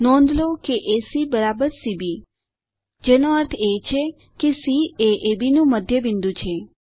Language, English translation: Gujarati, C ,B Notice that AC = CB implies C is the midpoint of AB